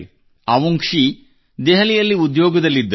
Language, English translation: Kannada, Avungshee had a job in Delhi